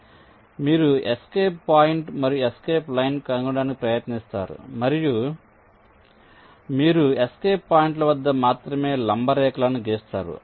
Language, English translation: Telugu, so you try to find out escape point and escape line and you draw the perpendicular lines only at the escape points